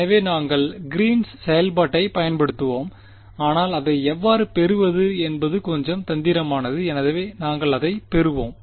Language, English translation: Tamil, So, we will use the Green’s function, but the how to get it is little bit tricky, so, we will get to it